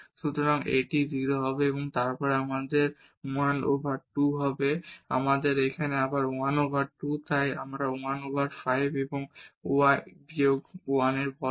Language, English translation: Bengali, So, this will become 0 and then we have 1 over 2, again here we have 1 over 2 so 1 over 5 and y minus 1 square